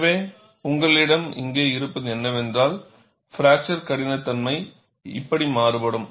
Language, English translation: Tamil, So, what you have here is, the fracture toughness varies like this